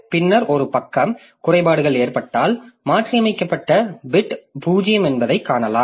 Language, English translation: Tamil, So later when a page fault occurs and we select this page as the victim, okay, this, so then we find that the modified bit is 0